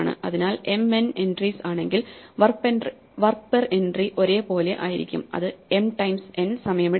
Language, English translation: Malayalam, So, m n entries constant amount of work per entry, this takes time m times n